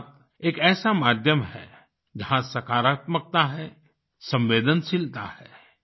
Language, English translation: Hindi, Mann Ki Baat is a medium which has positivity, sensitivity